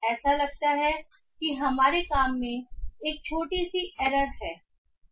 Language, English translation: Hindi, It seems we have a minor error in our work